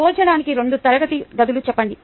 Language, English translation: Telugu, let us say two classrooms, for example